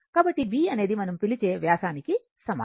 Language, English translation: Telugu, So, b is equal to your what you call the diameter